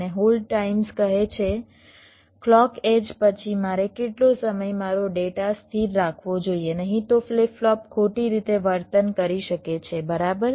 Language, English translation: Gujarati, that is, the setup time and the hold times says, after the clock edge, how much more time i should keep my data stable, otherwise the flip flop may behave incorrectly